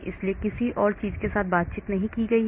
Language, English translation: Hindi, so there is no interaction with anything else